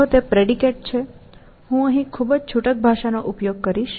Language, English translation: Gujarati, If it is a predicate; I will use very loose language here